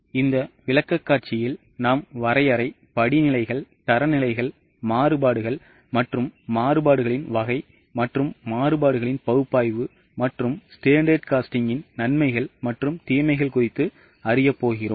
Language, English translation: Tamil, Now, in this presentation we are going to learn about the definition, the steps, the types of standards, variances and the type of variances, analysis of variances and the advantages and disadvantages of standard costing